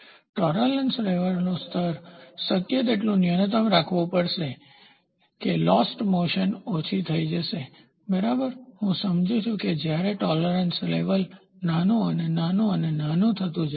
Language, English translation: Gujarati, So, the tolerance level has to be kept as minimum as possible such that the lost motion is reduced, ok, I understand when the tolerance level goes smaller and smaller and smaller